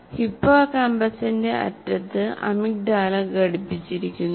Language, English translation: Malayalam, Emigdala is attached to the end of hippocampus